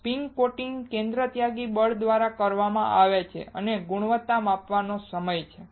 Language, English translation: Gujarati, Spin coating is done by a centrifugal force and the quality measure is time